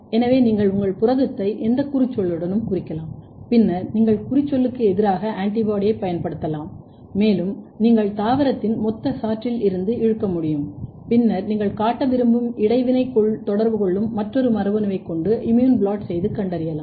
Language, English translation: Tamil, So, you can tag your protein with any tag and then you can use antibody against the tag and you can do the pull down from the total extract from the plant and then detect or do immune blotting with the another gene which you want to show the interaction